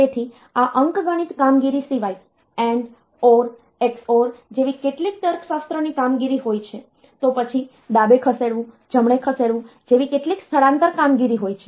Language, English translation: Gujarati, So, apart from this arithmetic operation, there are some logic operations like AND, OR, XOR, then there are some shifting operations a shift left, shift right like that